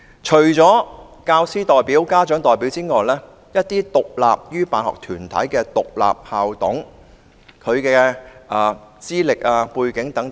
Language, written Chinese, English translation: Cantonese, 除教員校董、家長校董外，政府應提供更多指引，以規範獨立於辦學團體的獨立校董的資歷、背景等。, Apart from teacher school managers and parent school managers the Government should provide more guidelines on regulating the qualifications and background of school managers who are independent from the school sponsoring bodies